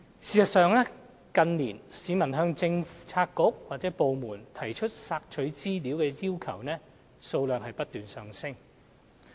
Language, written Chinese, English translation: Cantonese, 事實上，近年市民向政策局/部門提出索取資料的要求數量不斷上升。, In fact the requests for access to information received by various Policy Bureaux and government departments have been on a constant rise in recent years